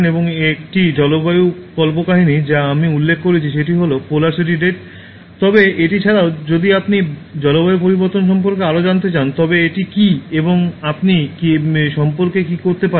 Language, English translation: Bengali, And one climate fiction that I mentioned that is Polar City Red, but apart from that if you want to know more about climate change what is it and what you can do about it